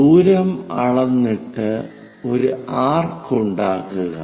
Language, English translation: Malayalam, From A measure the distance make an arc